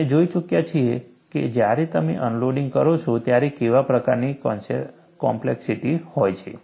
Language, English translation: Gujarati, We have already seen, what is the kind of complexity, when you have unloading